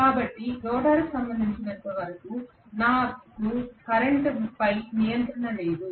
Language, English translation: Telugu, So I do not have any control over the current as far as the rotor is concerned